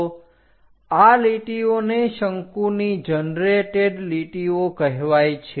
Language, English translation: Gujarati, So, these are called generated lines of the cone